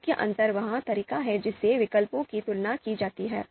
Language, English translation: Hindi, The main difference is the way alternatives are compared